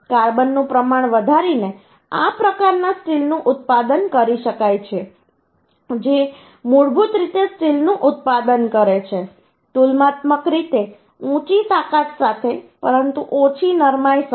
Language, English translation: Gujarati, By increasing the carbon content, this type of steel can be manufactured, which basically produces steel with comparatively higher strength but less ductility